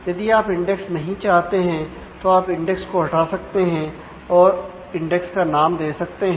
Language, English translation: Hindi, If you do not want an indexes actually do drop index and put the index name